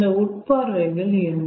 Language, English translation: Tamil, what are those insights